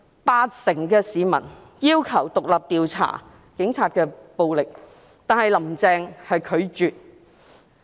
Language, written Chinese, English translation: Cantonese, 八成市民要求就警察的暴力進行獨立調查，但"林鄭"拒絕。, Eighty percent of members of the public asked for an independent inquiry on police violence but Carrie LAM refused